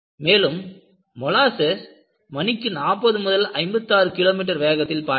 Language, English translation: Tamil, And, the molasses travelled with a speed of 40 to 56 kilometers per hour